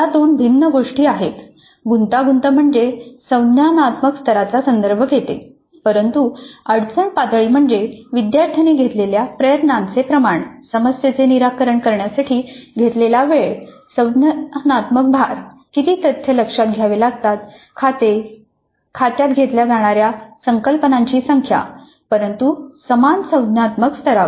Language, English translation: Marathi, The complexity refers to the cognitive level but the difficulty level refers to the amount of effort taken by the student, the time taken to solve the problem, the cognitive load, the number of facts to be taken into account, the number of concepts to be taken into account but at the same cognitive level